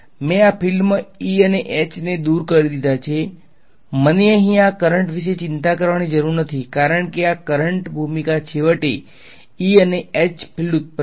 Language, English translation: Gujarati, I removed the field E and H inside the thing I do not have to worry about this currents over here because the role of this currents finally, is to produce the fields E and H